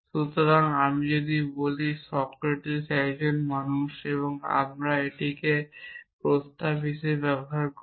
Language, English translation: Bengali, So, if I say Socrates is a man we treat it that as a proposition earlier